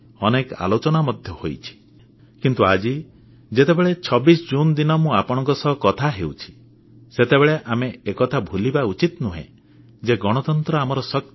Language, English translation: Odia, But today, as I talk to you all on 26th June, we should not forget that our strength lies in our democracy